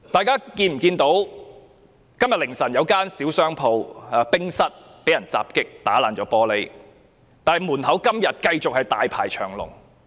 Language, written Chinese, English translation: Cantonese, 今天凌晨時分，有一間小商戶經營的餐廳被損毀玻璃，但店外依然大排長龍。, At the small hours today the glass windows of a restaurant run by a small operator were vandalized . Despite the vandalism we can see a long queue of waiting customers outside the restaurant all the same